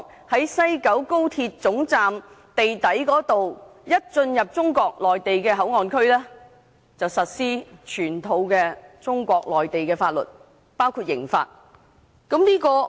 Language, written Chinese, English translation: Cantonese, 只要一經西九高鐵總站地底進入中國內地口岸區，便即時實施全套中國法律，包括刑法。, Anyone who enters the Mainland Port Area through the underground level of the West Kowloon Station will be subject to the national laws of China including the criminal law